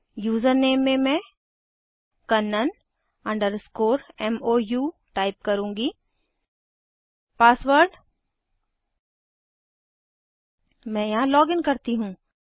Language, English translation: Hindi, The username I will type kannan underscore Mou, Password i will login here